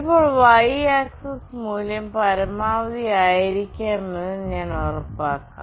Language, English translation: Malayalam, Now, I will make sure that the y axis value will be maximum